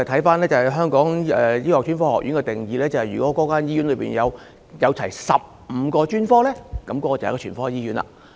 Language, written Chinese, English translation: Cantonese, 根據香港醫學專科學院的定義，如一間醫院設有全部15個專科，便屬於全科醫院。, According to the definition given by the Hong Kong Academy of Medicine a hospital is a general hospital if it is equipped with all the 15 specialties